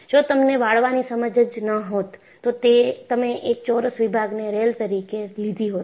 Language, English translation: Gujarati, If you had no understanding of bending, you would have taken a square section as a rail